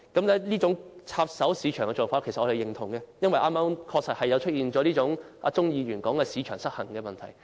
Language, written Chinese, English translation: Cantonese, 對於這種插手市場的做法，我們表示認同，因為確實出現了剛才鍾議員所說的市場失衡問題。, We approve of this approach of intervening in the market as there is indeed an imbalance in it as pointed out by Mr CHUNG earlier